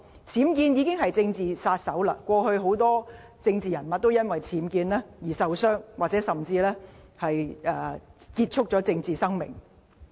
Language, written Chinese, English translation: Cantonese, 僭建問題已成為"政治殺手"，過去很多政治人物都因為僭建問題而受到傷害，甚或結束了政治生命。, The problem of UBWs has become a political killer in that it has harmed many political figures or even ended their political lives